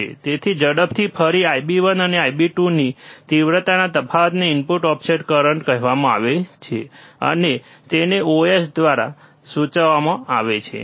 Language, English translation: Gujarati, So, quickly again, the difference in the magnitude of I b 1 and I b 2 Ib1 and Ib2 is called input offset current, and is denoted by I ios,